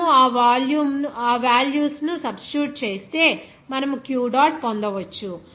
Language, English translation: Telugu, If you substitute those values, then you can get Q dot